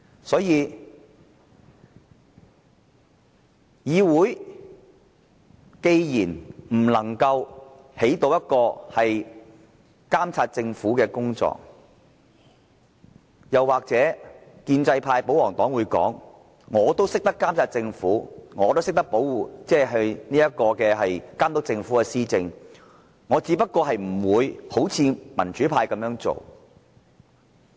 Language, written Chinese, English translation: Cantonese, 所以，當議會不能夠發揮監察政府的作用，也許建制派、保皇黨會說，他們都懂得監察政府，都懂得監督政府施政，只是不會採取民主派的做法。, So if this Council cannot perform its function to monitor the Government perhaps the pro - establishment camp or royalists will say that they can just that they will not adopt the democratic camps approach